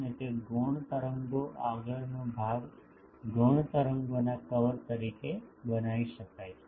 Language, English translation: Gujarati, And that a secondary wave front can be constructed as the envelope of the secondary waves